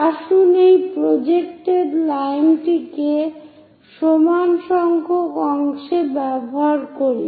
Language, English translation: Bengali, Let us use this projected line into equal number of parts